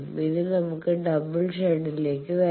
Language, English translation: Malayalam, Now, let us come to double shunt